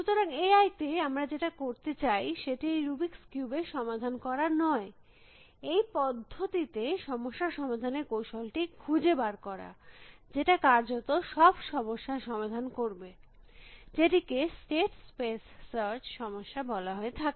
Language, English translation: Bengali, So, one of the thing that we want to do in A I is not to solve the rubrics you by itself, but to find is problem solving strategy on mechanism, which will solve virtually any problem, which can be posed as a state space search problem